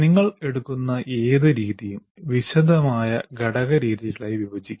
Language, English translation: Malayalam, And any method that you take can also be broken into detailed component methods